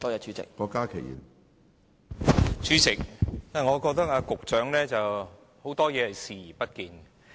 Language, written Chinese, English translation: Cantonese, 主席，我覺得局長對很多事都視而不見。, President the Secretary actually turns a blind eye to many things